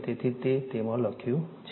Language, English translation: Gujarati, So, it is written in it